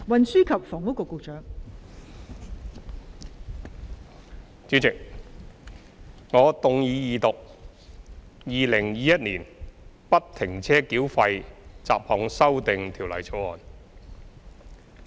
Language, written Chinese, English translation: Cantonese, 代理主席，我動議二讀《2021年不停車繳費條例草案》。, Deputy President I move the Second Reading of the Free - Flow Tolling Bill 2021 the Bill